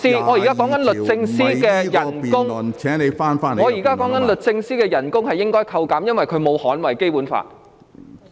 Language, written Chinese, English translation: Cantonese, 我現正指出應該削減律政司司長的薪酬，因為她沒有捍衞《基本法》。, I am pointing out that the emoluments of the Secretary for Justice should be cut for she has failed to safeguard the Basic Law